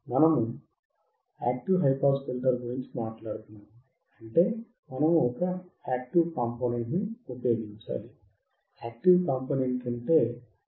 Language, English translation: Telugu, When we talk about active high pass filter, we have to use active component, and active component is nothing but our Op Amp